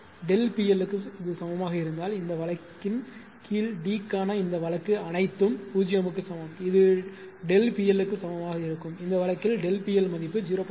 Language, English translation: Tamil, If is equal to delta P L, all ah under this case all this case ah for D is equal to 0 it will be is equal to delta P L and in this case delta P L value is taken 0